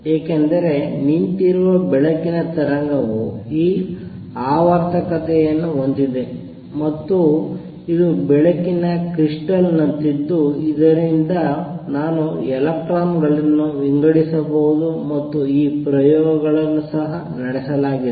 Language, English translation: Kannada, Because standing wave of light have this periodicity, and this is like a light crystal from which I can diffract electrons and these experiments have also been performed